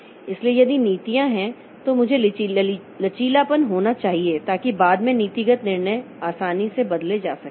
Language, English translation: Hindi, So, if the policy is I should have flexibility so that policy decisions are changed can be changed easily later